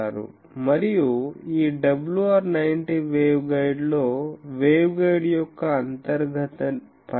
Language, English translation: Telugu, And this WR 90 waveguide has the inner dimension of the waveguide is a is 0